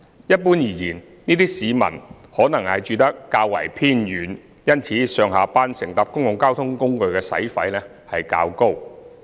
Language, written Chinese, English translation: Cantonese, 一般而言，這些市民可能住得較為偏遠，因此上下班乘搭公共交通工具的使費較高。, Generally speaking this group of commuters live in relatively remote areas and their public transport expenses of travelling to and from work are relatively high